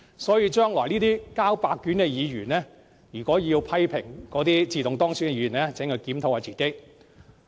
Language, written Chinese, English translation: Cantonese, 所以，這些交白卷的議員將來要批評自動當選的議員，請他們先檢討自己。, So I hope these underachievers can first look at themselves before criticizing other automatically elected Members in future